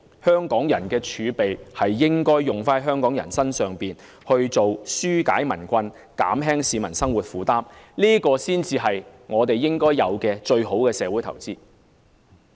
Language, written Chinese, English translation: Cantonese, 香港人的財政儲備應該用在香港人身上，紓解民困，減輕市民生活負擔，這才是應該的、最好的社會投資。, The fiscal reserves of Hong Kong people should be spent on people living here thereby alleviating peoples hardship and relieving the burdens of the costs of living of the people and this is the best social investment that we should make